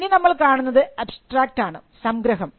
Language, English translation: Malayalam, So, this is the abstract